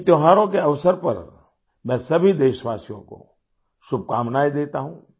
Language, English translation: Hindi, On the occasion of these festivals, I congratulate all the countrymen